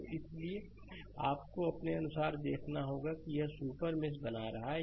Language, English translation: Hindi, So, so accordingly you have to you have to see that this creating a super mesh right